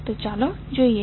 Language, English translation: Gujarati, So, let us see